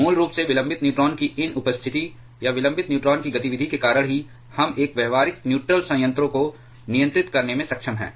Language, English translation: Hindi, Basically because of these presence of the delayed neutron or the activity of the delayed neutrons only we are able to control a practical nuclear reactor